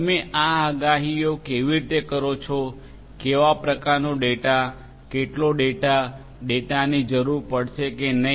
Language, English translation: Gujarati, How you make these predictions; what kind of data how much of data; whether data will at all be required or not